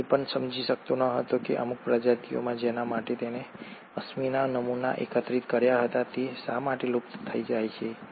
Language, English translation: Gujarati, He also did not understand why certain species for which he had collected the fossil samples become extinct